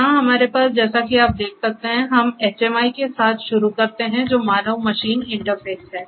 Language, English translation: Hindi, So, here we have as you can see we start with the HMI which is the Human Machine Interface